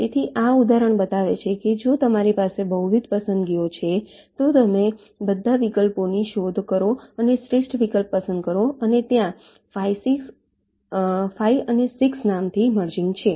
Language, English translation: Gujarati, so this example shows if you have multiple choices, you explore all the alternatives and select the best one, and that there is namely merging five and six